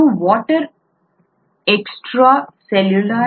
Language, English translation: Kannada, This is water maybe extracellular